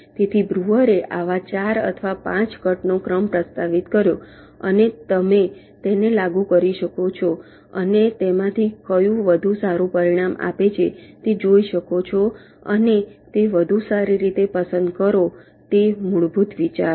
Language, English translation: Gujarati, so breuer proposed four or five such sequence of cuts and you can apply them and see which of them is giving the better result and select that better one